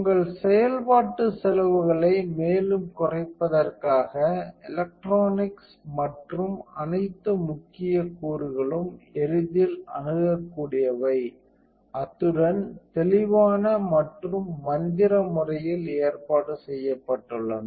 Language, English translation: Tamil, In order to further reduce your operational costs the electronics and all important components are easily accessible, as well as being arranged in a clear and magical manner